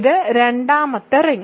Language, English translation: Malayalam, So, this is not ring